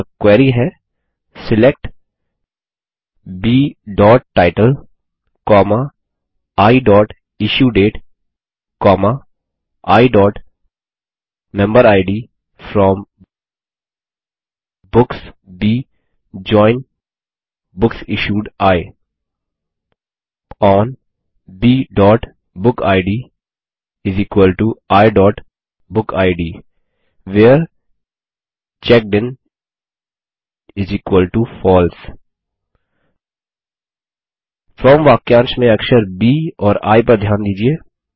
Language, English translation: Hindi, So the query is: SELECT B.title, I.IssueDate, I.Memberid FROM Books B JOIN BooksIssued I ON B.bookid = I.BookId WHERE CheckedIn = FALSE Notice the letters B and I in the FROM clause